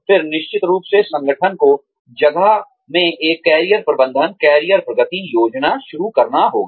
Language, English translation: Hindi, Then definitely, the organization needs to start putting, a Career Management, career progression plan, in place